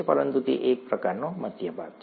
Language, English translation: Gujarati, But it's kind of a central part